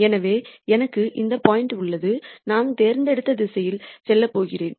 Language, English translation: Tamil, So, I have this point and I am going to move in a direction that I have chosen